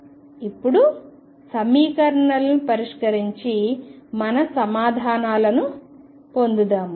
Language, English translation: Telugu, Now, let us solve the equations and get our answers